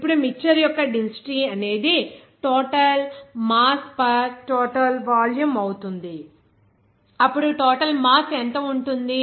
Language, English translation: Telugu, Now, the density of mixture will be total mass per total volume, then what will be the total mass